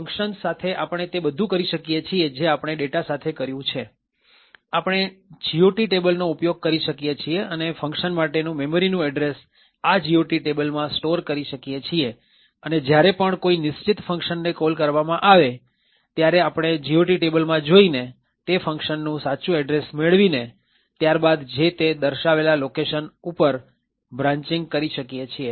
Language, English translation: Gujarati, With functions we can do precisely what we have done with data, we could use a GOT table and store the actual addresses for the functions in this GOT table, wherever there is a call to a particular function we look up the GOT table obtained the actual address for that particular function and then make a branch to that particular location